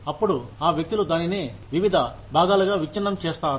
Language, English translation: Telugu, Then, those people, break it up, into different parts